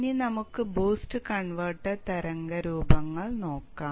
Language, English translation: Malayalam, Now let us look at the boost converter waveforms